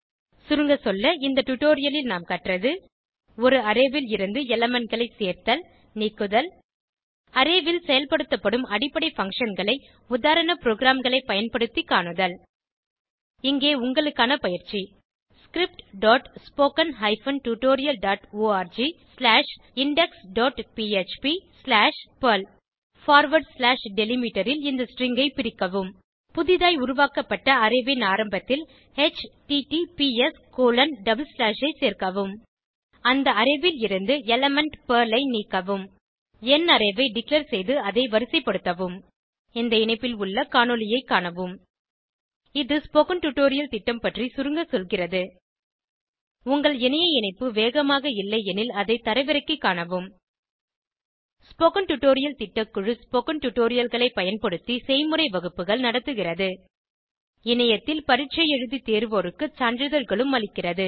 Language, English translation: Tamil, In this tutorial, we have learnt to add/remove elements from an Array basic functions which can be performed on Array using sample programs Here is assignment for you script.spoken tutorial.org/index.php/Perl split the above string at / delimiter Add https:// at the start of an newly created Array Remove element Perl from the Array Declare number Array and sort it Watch the video available at the following link It summaries the Spoken Tutorial project If you do not have good bandwidth, you can download and watch it The Spoken Tutorial Project Team Conducts workshops using spoken tutorials Gives certificates to those who pass an online test For more details, please write to contact at spoken hyphen tutorial dot org Spoken Tutorial Project is a part of the Talk to a Teacher project It is supported by the National Mission on Education through ICT, MHRD, Government of India